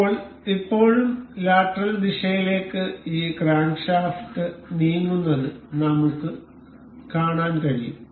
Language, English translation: Malayalam, Now, still we can see this crankshaft to move in the lateral direction